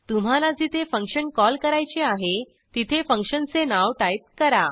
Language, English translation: Marathi, Type the function name at the location where you want to call it